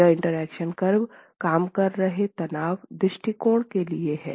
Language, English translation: Hindi, This was the interaction curve for the working stress approach